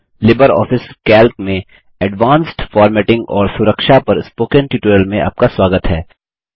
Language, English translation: Hindi, Welcome to the Spoken Tutorial on Advanced Formatting and Protection in LibreOffice Calc